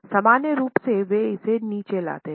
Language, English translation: Hindi, Normally they bring it down